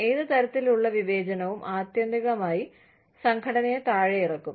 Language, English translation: Malayalam, Any form of discrimination, will eventually pull the organization down